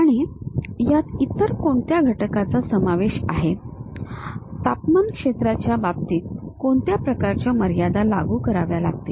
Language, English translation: Marathi, And what are the other components involved on that, what kind of boundary conditions in terms of temperature field I have to apply